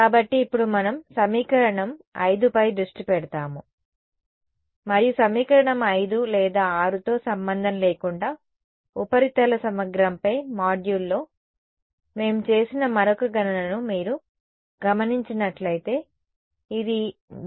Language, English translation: Telugu, So, now let us focus on equation 5, and well regardless of equation 5 or 6 if you notice one other calculation that we had done in the module on surface integral was that this gradient of E z dot n hat